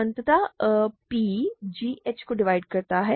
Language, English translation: Hindi, So, p divides g h